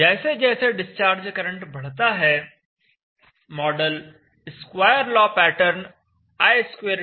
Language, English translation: Hindi, As the discharge current becomes higher then you have to use the square law pattern for the model i2 = c